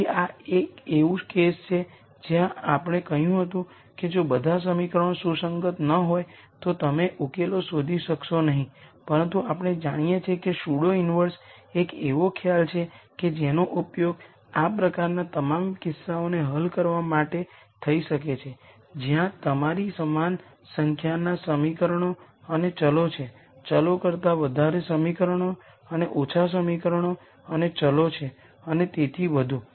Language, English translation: Gujarati, So, this is a case where we said if all the equations are not consistent you might not be able to nd solutions, but we know pseudo inverse is a concept that can be used to solve all types of these cases where you have the same number of equations and variables more equations than variables and less equations and variables and so on